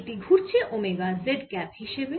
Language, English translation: Bengali, so it is rotating like this omega z cap